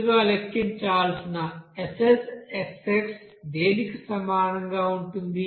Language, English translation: Telugu, First of all SSxx to be calculated thus will be equal to what